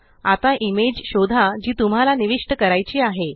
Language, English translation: Marathi, Now locate the image you want to insert